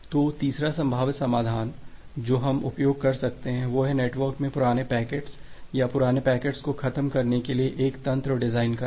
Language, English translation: Hindi, So, the third possible solution that we can utilize is to design a mechanism to kill off the aged packets or the old packets in the network